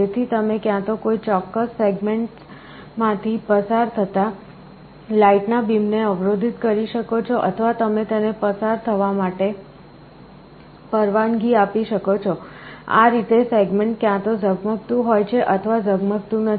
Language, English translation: Gujarati, So, you can either block the beam of light passing through a particular segment or you can allow it to pass, in this way a segment is either glowing or a not glowing